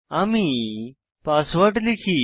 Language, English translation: Bengali, Let me enter the password